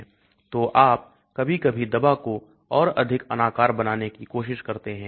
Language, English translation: Hindi, So you sometimes try to make the drug more amorphous and so on